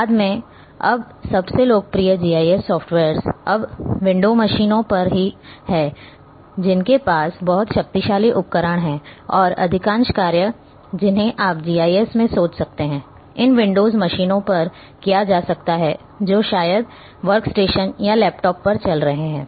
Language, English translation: Hindi, Later on most of the now most popular GIS softwares are now on window machines which are having very powerful set of tools and most of the task which you can think in GIS can be performed on a these windows machines maybe running on workstation or even on laptop